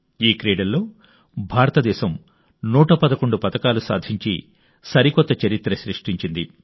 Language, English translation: Telugu, India has created a new history by winning 111 medals in these games